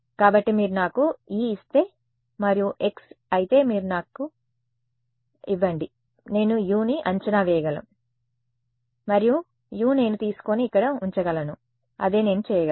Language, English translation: Telugu, So, if you give me e and if you give me X I can estimate U and that U I can take and put in over here that is what I can do right